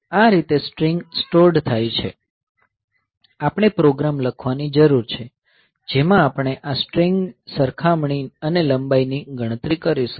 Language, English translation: Gujarati, So, this way the strings are stored; so, we need to write down the program which we will do this string comparison and length calculation